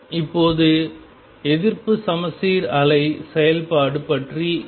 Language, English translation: Tamil, Now how about the anti symmetric wave function